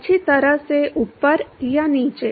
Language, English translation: Hindi, well above or well below